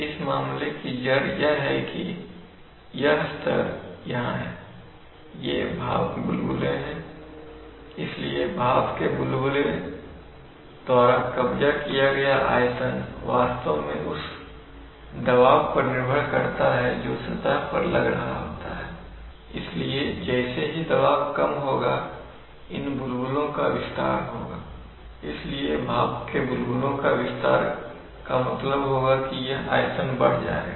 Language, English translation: Hindi, Now, you see that, what, this, the crux of the matter is that, this level is here, there are bubbles these are steam bubbles, so the volume occupied by the steam bubbles actually depend on the pressure which is applied on the surface, so the moment this pressure will be released these bubbles will expand, so the expansion of steam bubbles which will mean that this volume will rise, volume will go up